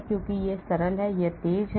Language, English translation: Hindi, because it is simpler, it is faster